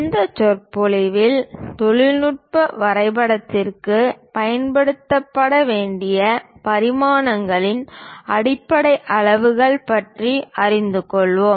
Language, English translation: Tamil, In today's, we will learn about basic units of dimensions to be use for a technical drawing